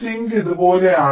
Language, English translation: Malayalam, sink is something like this